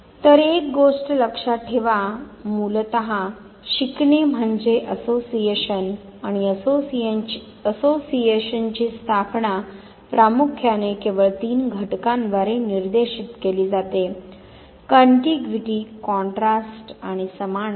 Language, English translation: Marathi, So, remember one thing, learning basically means formation of association and association primarily guided by just three factors contiguity, contrast and similarity